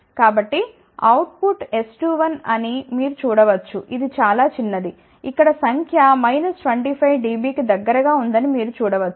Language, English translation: Telugu, So, you can see that the output which is S 2 1, it is very very small, you can see the number here is around minus 25 dB